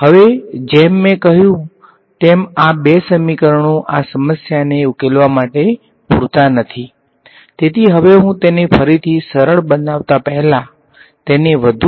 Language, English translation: Gujarati, Now, as I said these two equations are not sufficient to solve this problem, so, now I am going to seemingly make life more complicated before making it simple again right